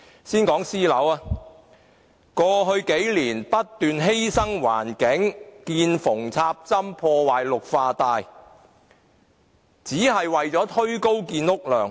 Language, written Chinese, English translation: Cantonese, 先講私人樓宇，政府過去不斷犧牲環境，見縫插針，破壞綠化帶，只是為了推高建屋量。, Let us start with private properties . In order to push up housing production the Government has been using every narrow strips of land for housing construction jeopardizing our environment and green belts